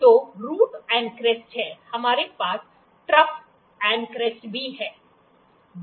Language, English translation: Hindi, So, there is root and crest, we have trough and crest